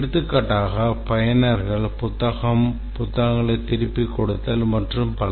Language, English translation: Tamil, For example, the users can issue book, return book, etc